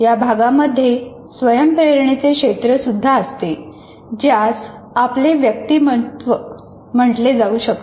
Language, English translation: Marathi, It also contains our so called self will area which may be called as our personality